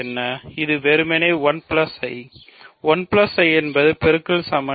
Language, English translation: Tamil, It is simply 1 plus I; 1 plus I is the multiplicative identity